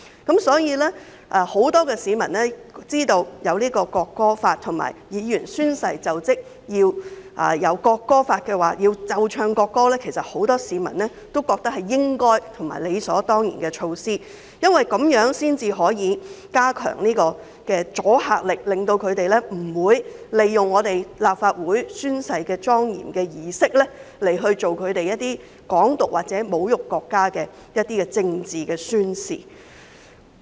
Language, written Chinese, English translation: Cantonese, 因此，很多市民知道會制定《條例草案》及規定立法會議員宣誓就職時奏唱國歌後，均覺得是應該和理所當然的，因為這樣才能加強阻嚇力，避免有人利用立法會宣誓的莊嚴儀式作出"港獨"或侮辱國家的政治宣示。, Therefore many people having learnt of the enactment of the Bill and the requirement that the national anthem should be played and sung when Members of the Legislative Council are sworn in all reckon that it should be done as a matter of course . It is because only by doing so can a stronger deterrent effect be achieved to prevent people from using the solemn oath - taking ceremony of the Legislative Council to make political manifestation which advocates Hong Kong independence or insults the country